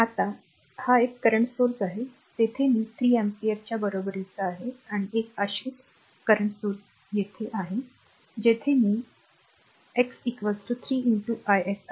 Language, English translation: Marathi, Now, this one a current source is there is i s equal to 3 ampere and a dependent current source is there where i x is equal to 3 into i s